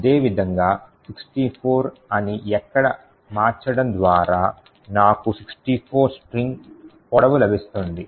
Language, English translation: Telugu, Similarly, by changing this over here to say 64 I will get a string of length 64